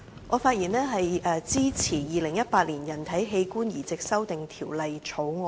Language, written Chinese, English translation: Cantonese, 我發言支持《2018年人體器官移植條例草案》。, I speak in support of the Human Organ Transplant Amendment Bill 2018